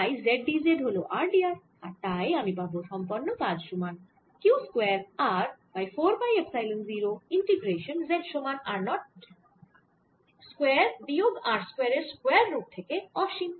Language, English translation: Bengali, d z over z cubed, which, upon integration, gives me q square r over four, pi epsilon zero, one over two, one over r naught square minus r square